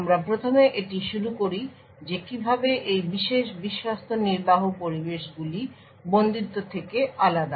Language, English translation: Bengali, We first start of it is in how this particular Trusted Execution Environments is different from confinement